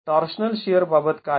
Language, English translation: Marathi, What about the torsional shear